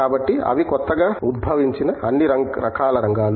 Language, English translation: Telugu, So, they are all kinds of new areas emerging as well